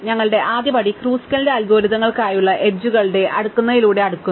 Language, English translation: Malayalam, Our first step was a sort the edges for Kruskal's algorithms starts by sorting in the edges